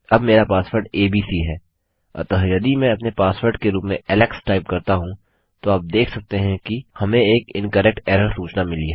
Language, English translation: Hindi, Now my password is abc so if I type Alex as my password, you can see we get an incorrect error message